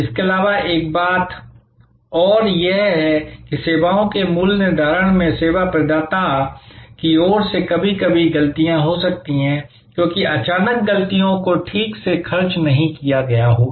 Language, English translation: Hindi, Also, another thing that happens is that in services pricing, from the service provider side, sometimes there can be grows mistakes, because sudden activities might not have been costed properly